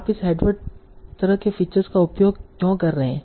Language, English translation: Hindi, So why are using this headward kind of features